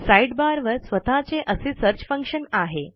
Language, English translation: Marathi, The Sidebar even has a search function of its own